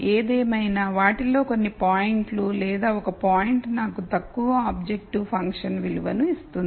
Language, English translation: Telugu, Nonetheless, there are some points out of those or one point which would give me the lowest objective function value